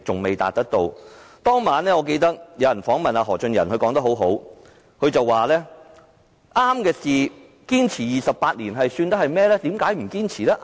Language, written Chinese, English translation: Cantonese, 我記得當晚有人訪問何俊仁，他說得很好，他說對的事情，堅持28年又算得上是甚麼？, I remember when Mr Albert HO was interviewed on that night he made a very good remark saying that pursuing something which we considered right for 28 years does not mean anything